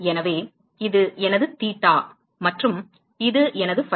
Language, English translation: Tamil, So, this is my theta and this is my phi